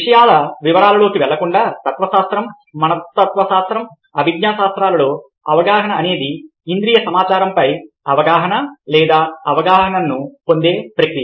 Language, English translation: Telugu, ok, without going into the details of the things, in philosophy, psychology and cognitive sciences, perception is the process of attaining, awareness or understanding of sensory information